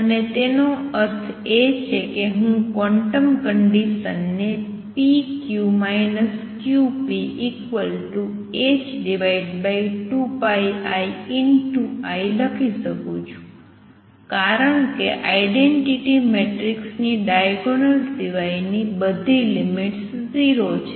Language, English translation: Gujarati, And what; that means, is that I can write the quantum condition as p q minus q p equals h over 2 pi i times the identity matrix because all the off diagonal limits of identity matrix are 0